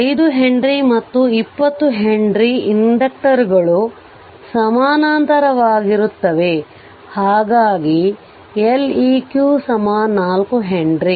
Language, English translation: Kannada, So, 5 ohm 5 ohm henry and 20 henry inductors are in parallel therefore, l equivalent is equal to 4 henry right